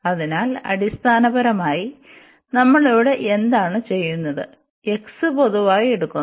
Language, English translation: Malayalam, So, basically what usually we do here, so we take x and here also we will take x common